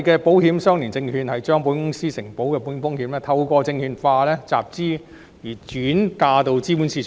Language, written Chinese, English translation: Cantonese, 保險相連證券將保險公司承保的保險風險透過證券化集資而轉嫁至資本市場。, ILS will transfer the insured risks of insurers to the capital markets through securitization financing